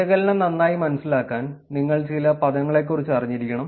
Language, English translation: Malayalam, To understand the analysis better you need to actually be clearer about some of the terminologies